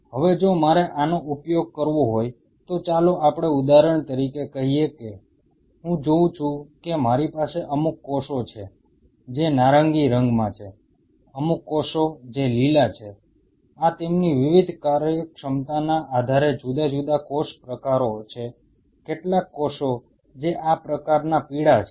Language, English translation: Gujarati, Now if I have to use this let us say for example, I see I have certain cells which are in orange, certain cells which are green these are different cell types based on their different functionality some cells which are yellow like this